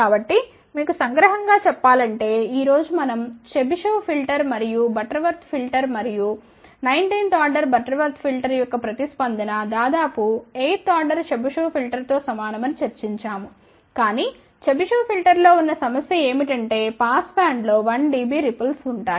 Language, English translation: Telugu, So, just you summarize so, today we discuss about the practical applications of the filters we actually saw that the response of the Chebyshev filter and Butterworth filter and nineteenth order Butterworth filter is almost equivalent to eighth order Chebyshev filter, but the Chebyshev filter had a problem that at had a 1 dB ripple in the pass band, ok